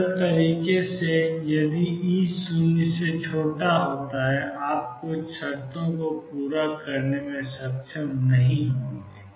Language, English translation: Hindi, In a simple way if E is less than 0 you would not be able to satisfy certain conditions